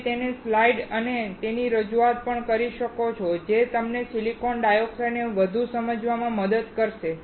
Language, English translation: Gujarati, You can also see his slides and his presentation which will also help you to understand further silicon dioxide